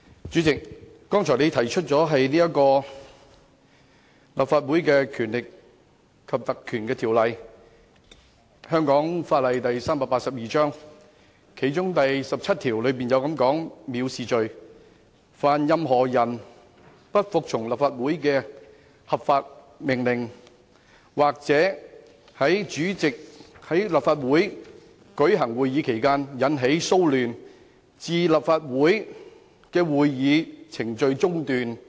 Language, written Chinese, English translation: Cantonese, 主席剛才提及《立法會條例》，該條例第17條對藐視罪作出規定，訂明凡任何人不服務從立法會的合法命令，或者在立法會舉行會議時引起擾亂，致令立法會的會議程序中斷，即屬犯罪。, Just now the President mentioned the Legislative Council Ordinance Cap . 382 in which section 17 provides for the definition of contempts and that is any person who disobeys any lawful order made by the Council or creates any disturbance which interrupts the proceedings of the Council while the Council is sitting commits an offence